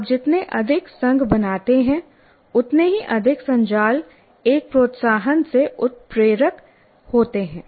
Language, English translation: Hindi, The more associations you create, more networks get triggered by one stimulus